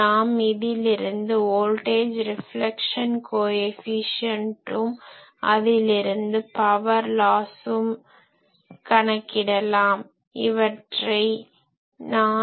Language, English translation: Tamil, So, from there we can calculate voltage reflection coefficient and from there we can find what is the power loss